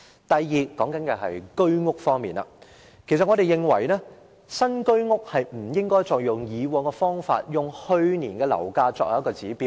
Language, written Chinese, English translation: Cantonese, 第二，有關新居屋，我們認為不應該依循以往做法，以去年樓價作為指標。, Second as regards the new Home Ownership Scheme HOS flats we hold that the practice of using property prices of the preceding year as an indicator should no longer be adopted